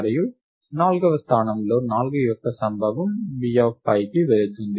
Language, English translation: Telugu, And the occurrence of 4 in the fourth location goes to B of 5